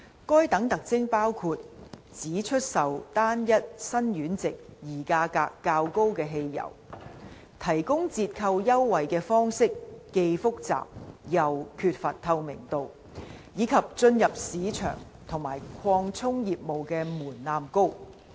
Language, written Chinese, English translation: Cantonese, 該等特徵包括：只出售單一辛烷值而價格較高的汽油、提供折扣優惠的方式既複雜又缺乏透明度，以及進入市場和擴充業務的門檻高。, Those features include the sale of petrol of only one single octane number which are more expensive the offer of discounts in a complex and opaque manner and the high barriers to market entry and expansion